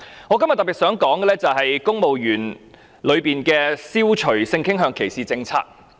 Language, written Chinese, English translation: Cantonese, 我今天特別想說的是，涉及公務員的消除性傾向歧視政策。, What I wish to highlight today is the policy to eliminate discrimination on the ground of sexual orientation involving civil servants